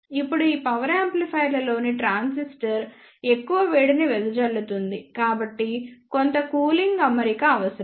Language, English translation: Telugu, Now, since the transistor in these power amplifiers dissipate more heat, so there is a need of some cooling arrangement